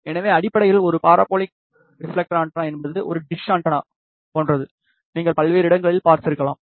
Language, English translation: Tamil, So, basically a parabolic reflector antenna is something like a dish antenna, you might have seen at various places